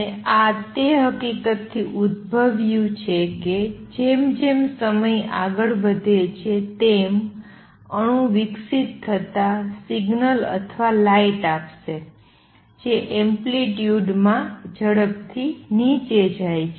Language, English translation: Gujarati, And this arose from the fact that as time progresses a radiating atom would give out signals or light which goes down in amplitude exponentially